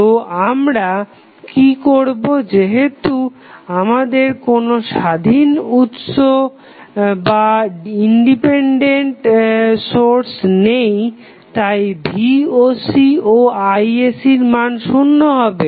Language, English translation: Bengali, So, what we will do, since we do not have any independent source, the value of Voc and Isc is 0